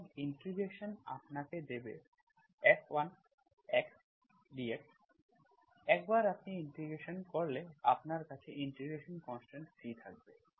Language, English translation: Bengali, So integration will give you F1 x dx, once you do the integration, so you will have integration constant C